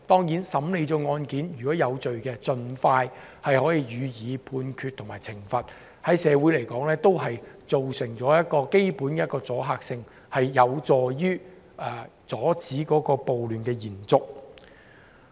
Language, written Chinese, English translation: Cantonese, 就審理的案件而言，如果當事人有罪，可以盡快判決及懲罰，可以在社會形成阻嚇性，有助阻止暴亂的延續。, With regard to the trial of cases if penalty can be promptly imposed on defendants who are convicted it would have a deterrent effect in society and help to stop the riots from spreading